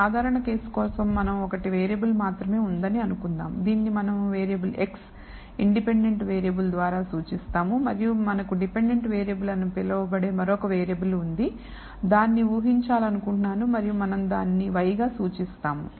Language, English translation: Telugu, So, we have let us for the simple case assume that we have only one variable, which we denote by the variable x the independent variable and we have another variable called the dependent variable, which we wish to predict and we will denote it as y